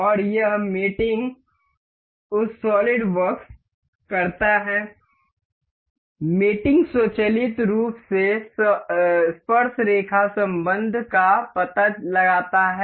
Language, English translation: Hindi, And it the mating uh solid works mating automatically detects the tangent relation